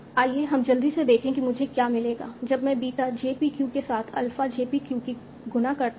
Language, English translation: Hindi, Let us quickly see what do I get if I multiply then alpha jpq with beta jpq